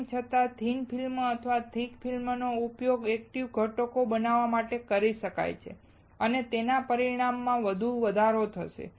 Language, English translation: Gujarati, Though, thin film or thick film can be used to fabricate active components and it will further result in increased size